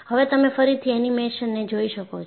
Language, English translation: Gujarati, And, you can again look at the animation